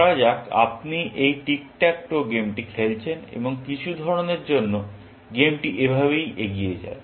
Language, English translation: Bengali, Let us say you are playing this game of Tick Tack Toe, and for some reason, this is how the game proceeds